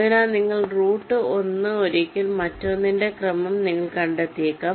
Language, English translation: Malayalam, so once you route one may be, you find the order of the other